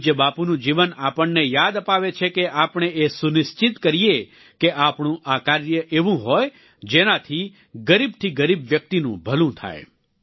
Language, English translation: Gujarati, Revered Bapu's life reminds us to ensure that all our actions should be such that it leads to the well being of the poor and deprived